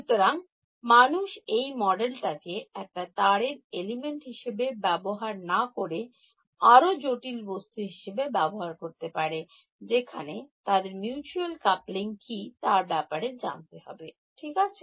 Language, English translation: Bengali, So, people have used this as a model for not just like a one wire element, but make it a complicated object find out what is the mutual coupling over there ok